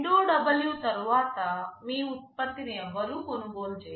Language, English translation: Telugu, After 2W, no one will be buying your product